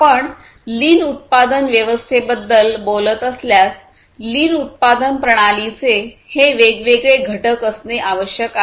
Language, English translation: Marathi, So, if we are talking about the lean production system, it is required to have these different components